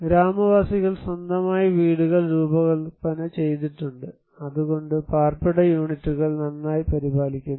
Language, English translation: Malayalam, Villagers have designed their own houses; therefore; the dwelling units is very well maintained